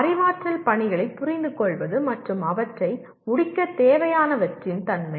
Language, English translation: Tamil, Understanding cognitive tasks and the nature of what is required to complete them